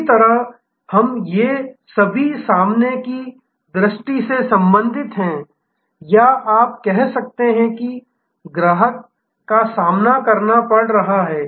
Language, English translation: Hindi, In the same way, we can these are all relating to the front sight or you can say customer facing side